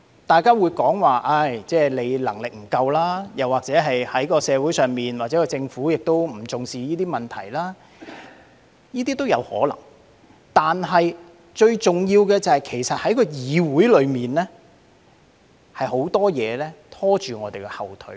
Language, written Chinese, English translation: Cantonese, 大家會說我的能力不足，又或我們的社會或政府不重視這些問題，這些都有可能，但最重要的是在議會內，有很多事情在"拖我們後腿"。, Some people may say that I am not competent enough or the community or the Government has attached little attention to these problems which may be true . But what is most important is that in this Council many things were holding us back